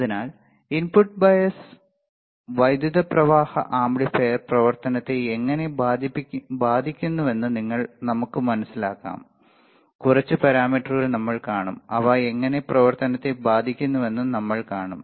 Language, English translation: Malayalam, So, let us understand how the input bias currents affect the amplifier operation, we will see few of the parameters and we will see how they are affecting the operation ok